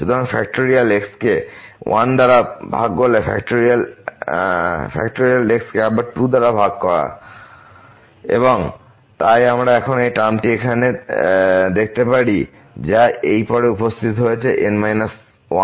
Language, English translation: Bengali, So, factorial divided by 1 factorial again divided by 2 and so, on we can continue now just look at this term here which have appear after this minus 1 term